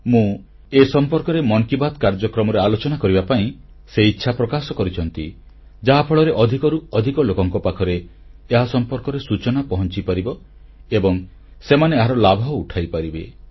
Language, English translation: Odia, He has expressed his wish that I mention this in 'Mann Ki Baat', so that it reaches the maximum number of people and they can benefit from it